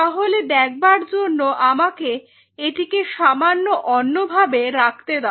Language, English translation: Bengali, So, just to visualize it let me just put it A slightly different way